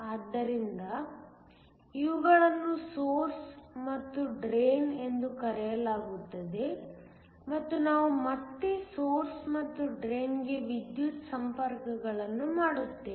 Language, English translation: Kannada, So, these are called the source and drain and we again make electrical connections to the source and the drain